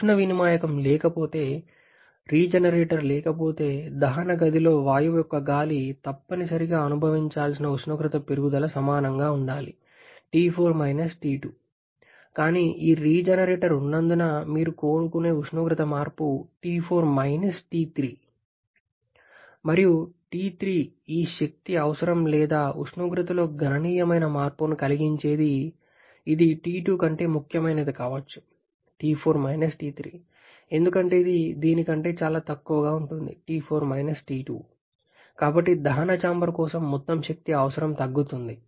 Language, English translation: Telugu, If there is no heat exchanger, no regenerator, then the temperature rise that the air of the gas must experience in the combustion chamber should be equal to T4 T2, but because of the presence of this regenerator, the temperature change that you want to have is T4 T3 and and T3 can be significant T2 causing a significant change in this energy requirement or the temperature is requirement T4 T3 because that can be significantly lower than this T4 T2